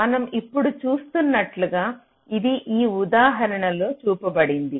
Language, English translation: Telugu, this is shown in these example, as we see now